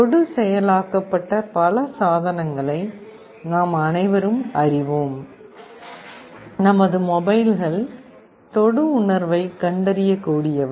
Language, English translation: Tamil, We are all familiar with many of the touch activated devices, like our mobiles are touch sensitive